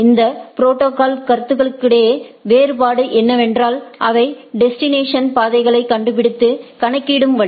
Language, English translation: Tamil, The difference between these protocols is the way they discover and calculate the routes to the destination